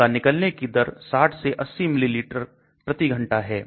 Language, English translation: Hindi, Its clearance is 60 to 80 milliliter per hour